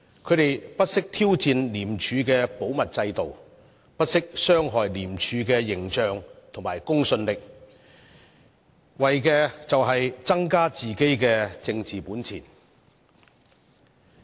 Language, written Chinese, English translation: Cantonese, 他們不惜挑戰廉署的保密制度，不惜傷害廉署的形象和公信力，為的是增加自己的政治本錢。, They have never hesitated to challenge the confidentiality system of ICAC and damage the image and undermine the credibility of ICAC at all costs so as to build up political capital for themselves